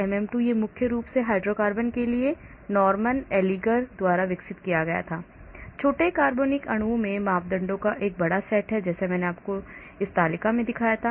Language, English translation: Hindi, MM2 this is developed by Norman Allinger mainly for hydrocarbons, small organic molecules has a large set of parameters like I showed you in that table